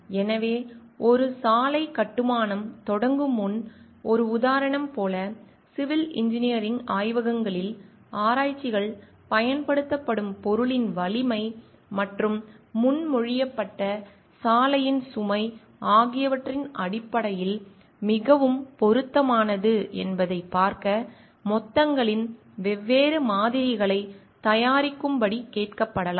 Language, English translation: Tamil, So, like an example before a road construction begins, researches in civil engineering labs might be asked to prepare different samples of the aggregates to see which is well suited in terms of the strength of the material used and the proposed road load